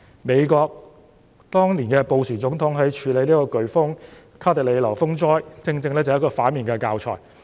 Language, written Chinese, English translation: Cantonese, 美國總統布殊當年對卡特里娜颶風風災的處理，正正是一個反面教材。, The handling of the disastrous hurricane Katrina by President BUSH of the United States is precisely an antithesis